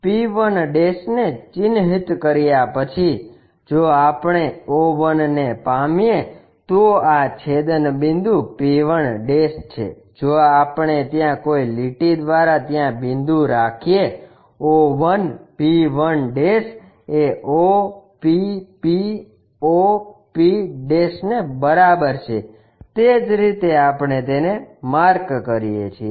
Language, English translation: Gujarati, After marking p1' if we measure o 1, this is the intersecting point p1' if we are dropping there by a line, o 1 p 1' is equal to o p p o p' that is the way we mark it